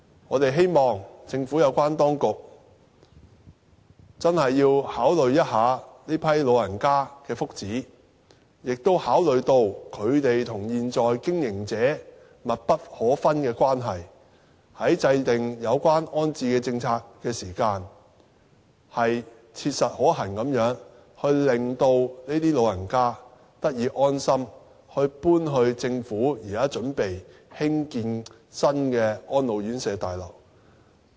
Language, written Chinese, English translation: Cantonese, 我們希望政府有關當局認真考慮這群老人家的福祉，亦考慮到他們和現在經營者有緊密關係，在制訂有關安置政策的時候，切實可行地令這群老人家得以安心，搬到政府現在準備興建的新安老院舍綜合大樓。, We hope the authorities can earnestly consider the welfare of these elderly people and take into account the close relations between them and the existing operator when they formulate the rehousing policy so that the elderly can have peace of mind enabling them to settle into the residential care home in the new complex under preparation . Thank you President . I so submit